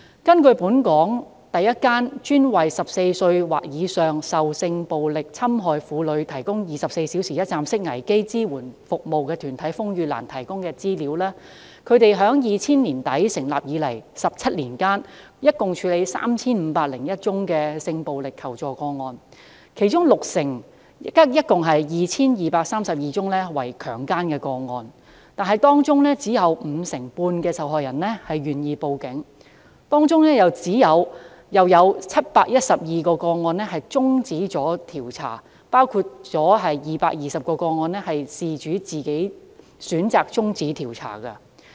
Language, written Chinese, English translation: Cantonese, 根據本港首個專門為14歲或以上受性暴力侵害婦女提供24小時一站式危機支援服務的團體風雨蘭提供的資料，他們自2000年年底成立以來，在17年間共處理 3,501 宗性暴力求助個案，其中六成即合共 2,232 宗為強姦個案，但當中只有約五成半受害人願意向警方報案，而當中又有712宗個案終止調查，包括220宗個案是由事主自行選擇終止調查。, According to the information provided by RainLily the first organization in Hong Kong dedicated to providing 24 - hour one - stop crisis support services to sexually abused women aged 14 or above it has handled a total of 3 501 assistance - seeking cases involving sexual violence during the past 17 years since its establishment in late 2000 and a total of 2 232 60 % cases among them were rape cases . However only about 55 % of the victims of such cases were willing to make a report to the Police and among such reported cases the investigation into 712 cases was eventually terminated including 220 cases in which the investigation was terminated by the victims themselves